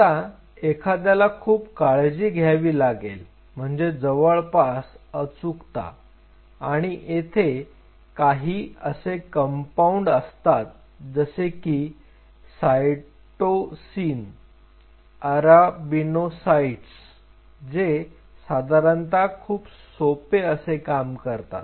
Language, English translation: Marathi, Now, one has to be very careful something like furacy and that there are several such compound cytosine arabinocytes which is one of such compounds which basically what the way they work is very simple